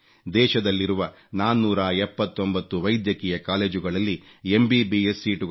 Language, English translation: Kannada, In the present 479 medical colleges, MBBS seats have been increased to about 68 thousand